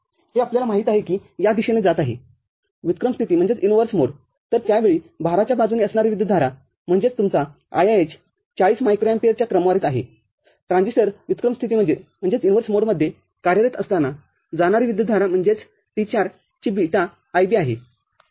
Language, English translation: Marathi, We know that this is going in this direction inverse mode – so, that time the current that is at the load side, that is your IIH is of the order of 40 microampere the current that is going when this transistor is operating in inverse mode that is the beta IB of T4, ok